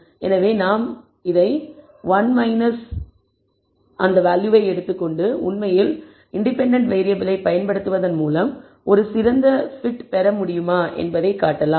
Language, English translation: Tamil, So, if we take 1 minus this we will, actually we can show whether using the independent variables have we been able to get a better t